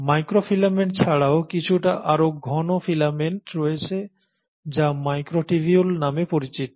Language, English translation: Bengali, In addition to microfilaments, there are slightly more thicker filaments which are called as microtubules